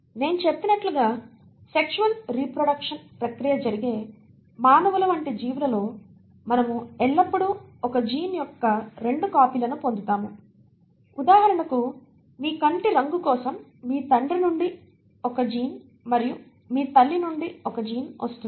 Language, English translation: Telugu, As I said, in organisms like human beings, where there is a process of sexual reproduction taking place, we always get 2 copies of a gene, say for example if for your eye colour you will have a gene coming from your father and a gene coming from your mother